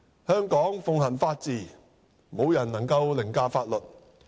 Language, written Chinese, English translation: Cantonese, 香港奉行法治，無人能凌駕法律。, Hong Kong is a place where the rule of law is upheld and no one is above the law